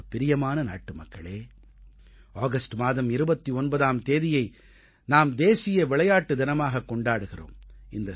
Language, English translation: Tamil, My dear countrymen, all of you will remember that the 29th of August is celebrated as 'National Sports Day'